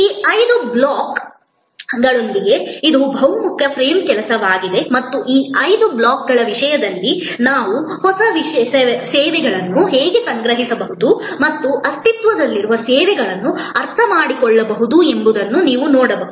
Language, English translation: Kannada, This is a very versatile frame work, with these five blocks and you can see that how we can conceive new services as well as understand existing services in terms of these five blocks